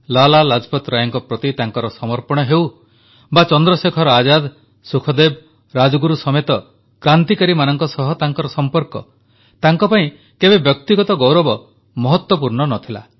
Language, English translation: Odia, Be it his devotion towards Lala Lajpat Rai or his camaraderie with fellow revolutionaries as ChandraShekhar Azad, Sukhdev, Rajguru amongst others, personal accolades were of no importance to him